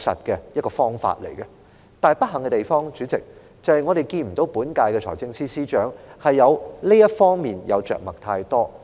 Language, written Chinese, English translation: Cantonese, 但代理主席，不幸的地方，是我們並未看到本屆財政司司長在這方面着墨太多。, However Deputy Chairman it is unfortunate that we have not seen much elaboration from the incumbent Financial Secretary FS in this regard